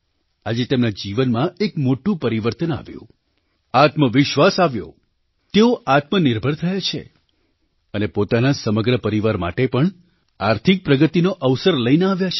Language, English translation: Gujarati, At present, her life has undergone a major change, she has become confident she has become selfreliant and has also brought an opportunity for prosperity for her entire family